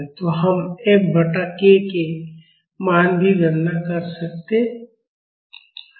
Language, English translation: Hindi, So, we can calculate the value of F by k